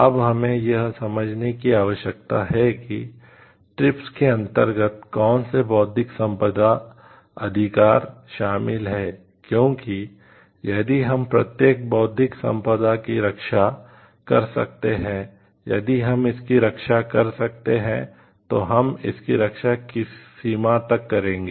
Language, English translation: Hindi, Now, we have to understand which Intellectual Property Rights are covered under TRIPS because can we protect every Intellectual Property if we can protect to what extent will we give the protection